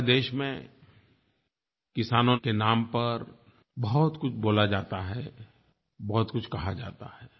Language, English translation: Hindi, A lot is being said in the name of farmers in our country